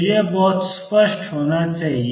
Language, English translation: Hindi, So, this should be very clear